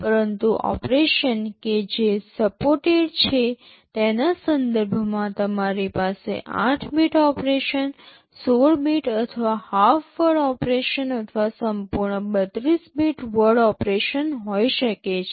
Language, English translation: Gujarati, But in terms of the operations which are supported, you can have 8 bit operations, 16 bit or half word operations, or full 32 bit word operations